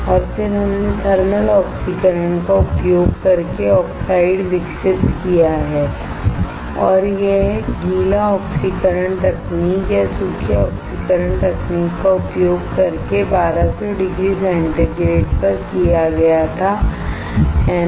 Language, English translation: Hindi, And then we have grown oxide we have grown oxide using using thermal oxidation and this was done at 1200 degree centigrade using wet oxidation technique or dry oxidation technique, right